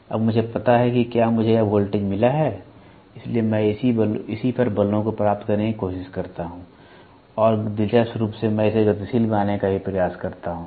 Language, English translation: Hindi, So, now, I know if I have got this voltage, so, I correspondingly try to get the forces on it and interestingly I also try to make it dynamic